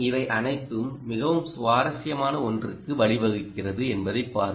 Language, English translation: Tamil, see what it all of this is leading to something very interesting, right